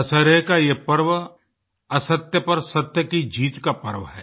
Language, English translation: Hindi, The festival of Dussehra is one of the triumph of truth over untruth